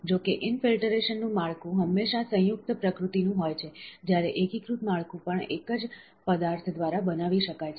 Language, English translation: Gujarati, However, the infiltration structure are always composite in nature, whereas consolidated structure can be made by a single material too